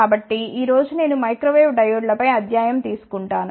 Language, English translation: Telugu, So, today I will be taking a lecture on Microwave Diodes